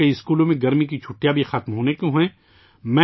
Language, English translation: Urdu, Now summer vacations are about to end in many schools